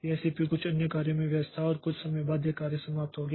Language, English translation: Hindi, This CPU was busy doing some other job and after some time that job finishes